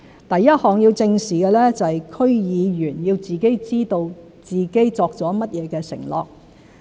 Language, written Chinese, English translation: Cantonese, 第一項要正視的是區議員要自己知道自己作了甚麼承諾。, The first aspect which needs to be addressed is that DC members should know what undertakings they have made